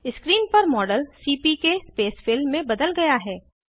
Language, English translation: Hindi, The model on the screen is converted to CPK Spacefill model